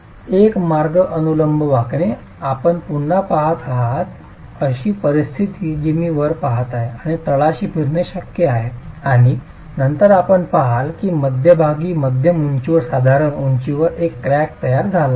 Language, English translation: Marathi, So, one way vertical bending, you have again the situation that I'm looking at is with rotations at the top and the bottom being possible and then you see that there is a crack that is formed at the mid height, roughly at the mid height